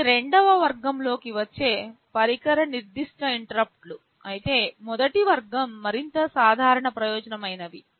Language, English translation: Telugu, These are device specific interrupts that fall in the second category, but first category is more general purpose